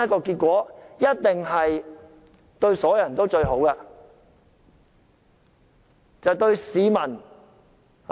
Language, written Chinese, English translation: Cantonese, 這一定是對所有人最好的結果。, This is certainly the best result for all